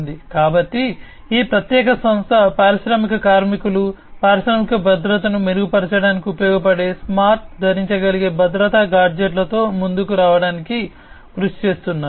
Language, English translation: Telugu, So, this particular company is working on coming up with smart wearable safety gadgets, which can be used by the industrial workers to improve upon the industrial safety